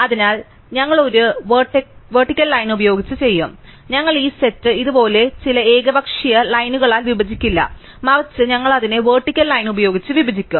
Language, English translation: Malayalam, So, we will do it using a vertical line, so we will split this set not by some arbitrary line like this, but rather we will try and split it by a vertical line